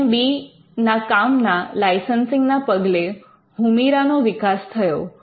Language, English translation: Gujarati, The licensing of LMB’s work led to the development of Humira